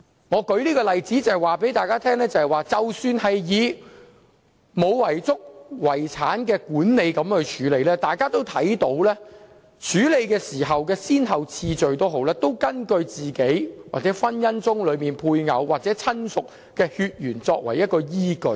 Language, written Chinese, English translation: Cantonese, 我舉這個例子，就是要告訴大家，在沒有遺囑的遺產管理中，大家也可見處理的先後次序，是以死者本人或婚姻中的配偶或親屬的血緣關係作為依據。, I have cited this example to illustrate to Members that in the case of a grant to administration when a person dies intestate there is an established priority for handling the case which is based on the biological relationship of the deceased or the relationship with the spouse of the deceased in a marriage